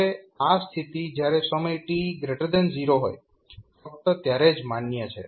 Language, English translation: Gujarati, Now, this condition is valid only for time t greater than 0